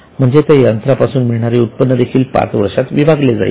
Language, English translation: Marathi, So, revenue which is generated by using that machinery is spread over 5 years